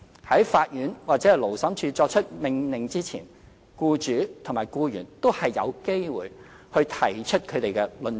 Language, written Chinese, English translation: Cantonese, 在法院或勞審處作出命令之前，僱主和僱員都有機會提出他們的論點。, Before the court or Labour Tribunal makes an order both the employer and the employee have the chance to present their arguments